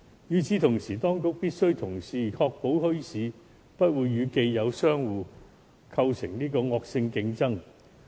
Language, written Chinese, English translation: Cantonese, 與此同時，當局必須確保墟市不會與既有商戶構成惡性競爭。, Meanwhile the authorities must ensure that there will be no cut - throat competition between the bazaar traders and the existing business operators